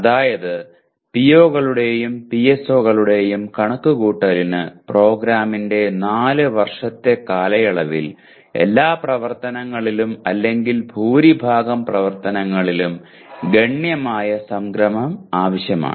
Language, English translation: Malayalam, That means computing attainment of POs and PSOs requires considerable amount of aggregation over all the activities or majority of the activities over the 4 year duration of the program